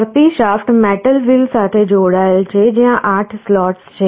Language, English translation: Gujarati, The rotating shaft is connected to the metal wheel where there are 8 slots